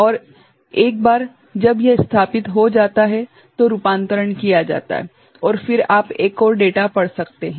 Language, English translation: Hindi, And, once it settles, conversion is done and then you can read another data